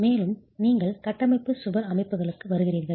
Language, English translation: Tamil, Then you come to structural wall systems